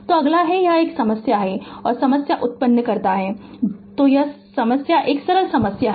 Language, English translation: Hindi, So, next is next is this problem another problem so simple problem it is simple problem